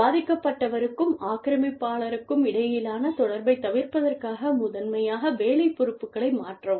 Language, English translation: Tamil, Change the job responsibilities, primarily to avoid contact, between the victim, and the aggressor